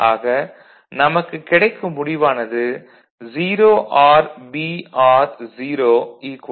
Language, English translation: Tamil, So, basically you get 0 OR B OR 0